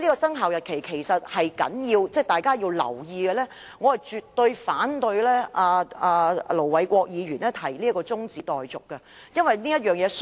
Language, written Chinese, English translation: Cantonese, 生效日期是重要的，大家應當留意，所以我絕對反對盧偉國議員的中止待續議案。, The commencement date is important and warrants our attention so I absolutely oppose the adjournment motion moved by Ir Dr LO Wai - kwok